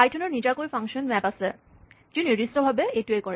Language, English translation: Assamese, Python has a built in function map, which does precisely this